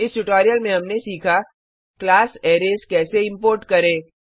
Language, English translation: Hindi, In this tutorial we have learnt how to import the class Arrays